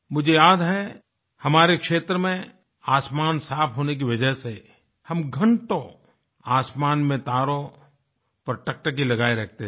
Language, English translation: Hindi, I remember that due to the clear skies in our region, we used to gaze at the stars in the sky for hours together